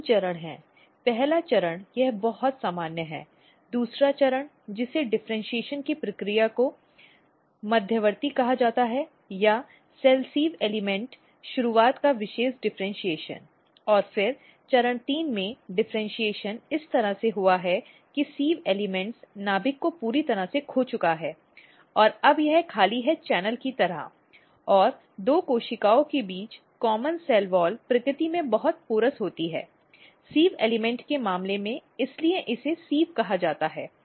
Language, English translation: Hindi, How this is if you look there are three stages first stage it is very normal, second stage which is called intermediate the process of differentiation or special differentiation of cell sieve element started and then in stage three the differentiation has occurred in a way that the sieve elements has totally lost the nucleus now it is empty more kind of channels and the common cell wall between two cells are very porous in nature, in case of sieve element that is why it is called sieve